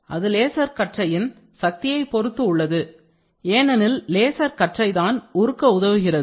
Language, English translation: Tamil, So, it depends on the laser beam power, laser beam because melting, it has to help in melting